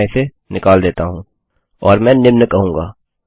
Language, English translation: Hindi, So Ill scrap this and Ill say the following